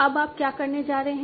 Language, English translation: Hindi, Now what are you going to do